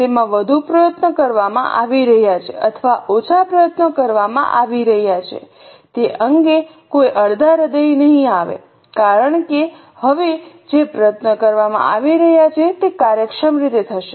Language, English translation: Gujarati, There will not be any half heartedness, whether it's more efforts being put or less efforts being put, because now the efforts being put would be in an efficient manner